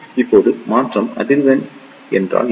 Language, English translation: Tamil, Now, what is transition frequency